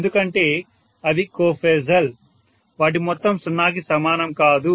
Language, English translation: Telugu, Whereas because they are, they are co phasal, the sum is not equal to 0